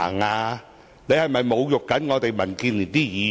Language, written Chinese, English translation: Cantonese, 她是否在侮辱我們民建聯議員？, Was she insulting us Members of DAB?